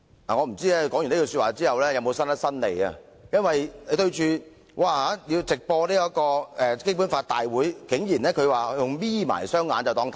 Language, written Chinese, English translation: Cantonese, 我不知道她說罷有否伸伸舌頭，因為面對直播的問題，她的反應竟然是"'瞇'起雙眼便看不見"。, I wonder if she had put out her tongue after making such a remark . In response to the live broadcast issue she had surprisingly said that one cant see with half - closed eyes